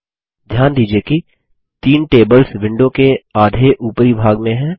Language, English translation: Hindi, Can you see some data in the upper half of the window